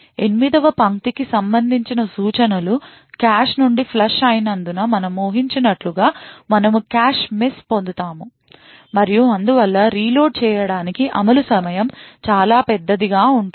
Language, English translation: Telugu, And as we would expect since the instructions corresponding to line 8 has been flushed from the cache, we would obtain a cache miss and therefore the execution time to reload would be considerably large